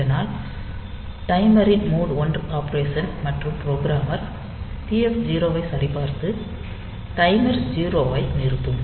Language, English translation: Tamil, So, that is the mode 1 operation of this timer, and programmer can check TF 0 and stop the timer 0